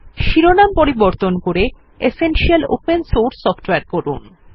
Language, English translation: Bengali, Change the title to Essential Open Source Software